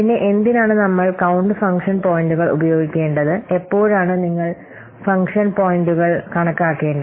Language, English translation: Malayalam, Then why should we use count function points